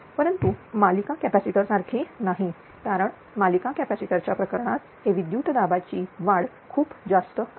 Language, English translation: Marathi, But not like series capacitor because series capacitor case this voltage rise is very high right